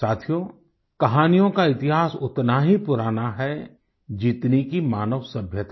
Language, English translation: Hindi, Friends, the history of stories is as ancient as the human civilization itself